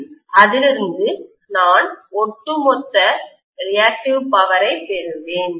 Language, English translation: Tamil, Then I will get the overall reactive power of the system